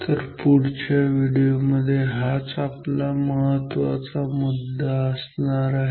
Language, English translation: Marathi, So, this will be the focus of our next video